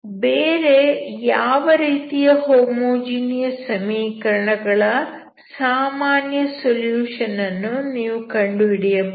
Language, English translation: Kannada, So, if you want to solve the non homogeneous equation, you should have general solution of the homogeneous equation